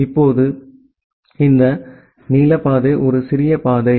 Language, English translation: Tamil, Now, ideally this blue path is a smaller path